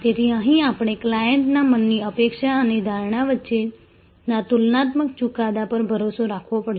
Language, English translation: Gujarati, So, here we have to rely on the comparative judgment in the clients mind between expectation and perception